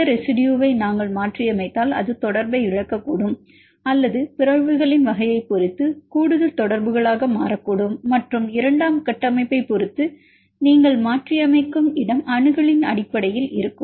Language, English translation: Tamil, If we mutate this residue it may lose the contact or may be additional contacts depending upon the type of mutations and where you mutate either depending on the secondary structures are in the location based on accessibility